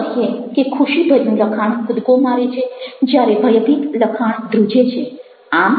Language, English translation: Gujarati, a happy text is a jumping text, lets see a text which is terrified, is trembling